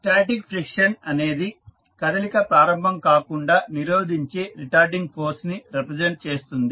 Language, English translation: Telugu, Now, next static friction, static friction represents retarding force that tends to prevent motion from beginning